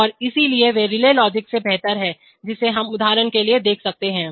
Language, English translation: Hindi, And so why, they are better than relay logic, that we can see, for example